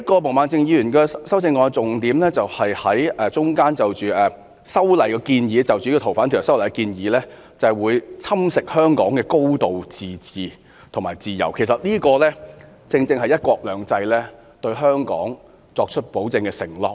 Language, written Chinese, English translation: Cantonese, 毛孟靜議員修正案的另一個重點是，她指出《逃犯條例》的修訂建議會侵蝕香港的"高度自治"及自由，而這正正是"一國兩制"對香港的保證和承諾。, Another salient point in Ms Claudia MOs amendment is as she has underlined the proposed amendments to the Fugitive Offenders Ordinance will erode Hong Kongs high degree of autonomy and freedom . This is precisely a guarantee and undertaking made to Hong Kong by one country two systems